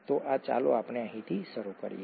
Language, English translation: Gujarati, So this, let us start here